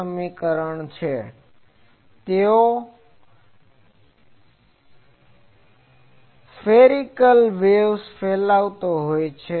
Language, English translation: Gujarati, This is because they are radiating spherical waves